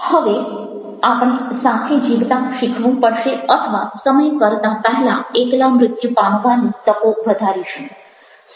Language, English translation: Gujarati, now we must either learn to live together or increase our chances of prematurely dying alone